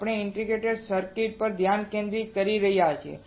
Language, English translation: Gujarati, We are focusing on integrated circuit